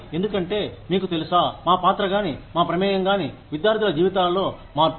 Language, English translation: Telugu, Because, either, you know, our role, our involvement, in the lives of the students, changes